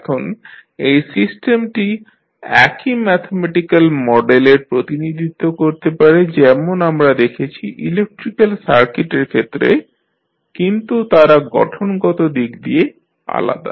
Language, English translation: Bengali, Now, the systems can be represented by the same mathematical model as we saw in case of electrical circuits but that are physically different